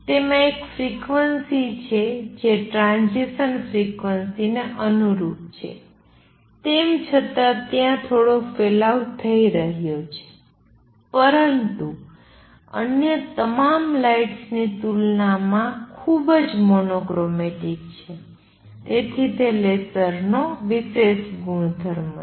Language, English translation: Gujarati, It has one frequency that corresponds to that transition frequency although there is going to be some spread, but is highly monochromatic compared to all other lights, so that is the special properties of lasers